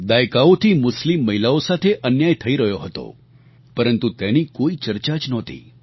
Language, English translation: Gujarati, For decades, injustice was being rendered to Muslim women but there was no discussion on it